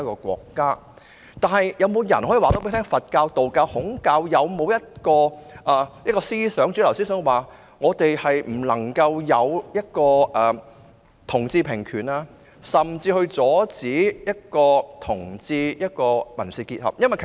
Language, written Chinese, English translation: Cantonese, 是否有人能告訴我，佛教、道教、孔教有沒有一種主流思想指我們不能為同志平權，甚至應阻止同志締結民事結合呢？, Can anyone tell me whether there are any major creeds in Buddhism Taoism and Confucianism that rule out equal rights for homosexuals and even their civil union?